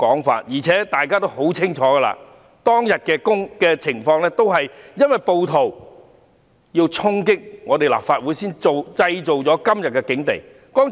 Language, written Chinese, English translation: Cantonese, 況且，大家也清楚當日的情況，因為暴徒要衝擊立法會才造成今天的境地。, Furthermore Members clearly knew what happened that day the current situation is resulted from the charging of the Legislative Council Complex by the rioters